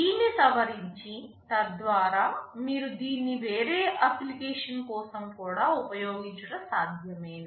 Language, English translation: Telugu, Is it possible to modify it, so that you can also use it for some other application